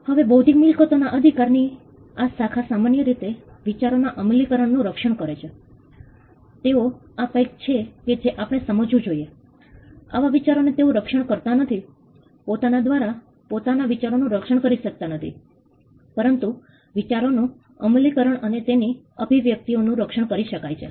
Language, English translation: Gujarati, Now, this branch intellectual property rights generally protects applications of ideas, they do not protect ideas per say this is something which we need to understand ideas in themselves by themselves are cannot be protected; but applications and expressions of ideas can be protected